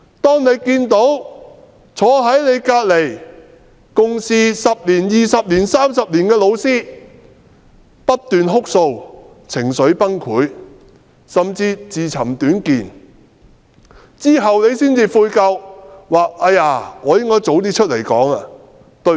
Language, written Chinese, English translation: Cantonese, 當你看見坐在你旁邊共事10年、20年或30年的老師不斷哭訴，情緒崩潰，甚至自尋短見，及至發生事後你才悔疚，覺得自己應該早點出來發聲。, A teacher might have noticed the teacher sitting next to him for 10 20 or 30 years often cried suffered an emotional breakdown or even became suicidal and he regretted that he had not spoken out earlier only after an incident happened